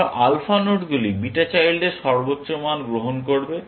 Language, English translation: Bengali, Then, alpha nodes will take the maximum of beta children